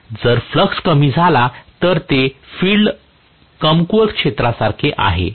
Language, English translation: Marathi, If the flux gets decreased, it is like field weakening zone